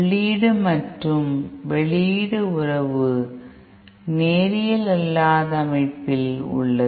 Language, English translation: Tamil, The input output relationship is of some non linear way